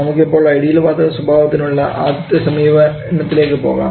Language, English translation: Malayalam, So, let us not try to go for the first approach which is the ideal gas Behaviour for ideal gas behaviour